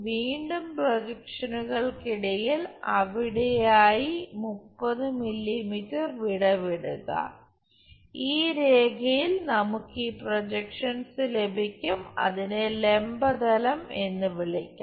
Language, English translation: Malayalam, Again leave 30 mm gap between the projectors somewhere there, on this line we will have these projections name it as vertical plane 20 mm below HP